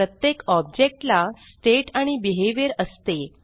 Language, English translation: Marathi, Each object consist of state and behavior